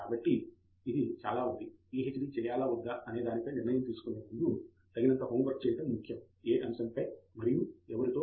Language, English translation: Telugu, So, it is very important do adequate homework before we decide upon whether to do PhD and then also on what topic and with whom